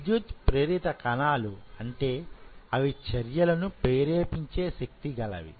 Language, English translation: Telugu, So, electrically active cells means it fires action potentials